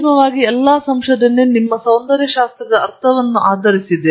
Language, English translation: Kannada, Ultimately all the research proceeds based on your sense of aesthetics